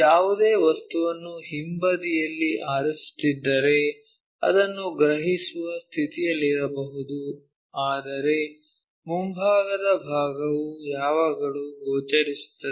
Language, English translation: Kannada, If, you are picking any object backside we might not be in a position to sense it, but front side the edges are always be visible